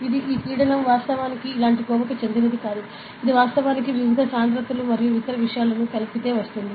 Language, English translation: Telugu, So, it does this pressure actually is not like this, it is actually a sum up of the various densities and other things